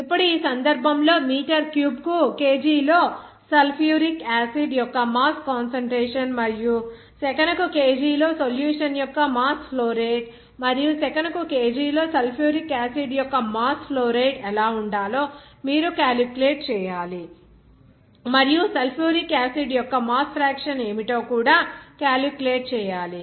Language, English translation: Telugu, Now, in this case, you have to calculate what should be the mass concentration of sulfuric acid in kg per meter cube and the mass flow rate of the solution in kg per second and the mass flow rate of sulfuric acid in kg per second and also what would be mass fraction of sulfuric acid